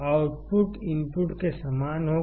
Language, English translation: Hindi, the output would be similar to the input